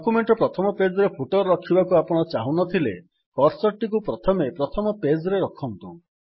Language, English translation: Odia, If you dont want a footer on the first page of the document, then first place the cursor on the first page